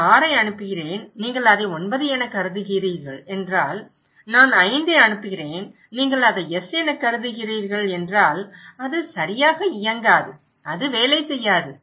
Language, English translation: Tamil, If I am sending 6 and if you are considering it as 9, if I am sending 5 and if you are considering it as S then it would not work right, it would not work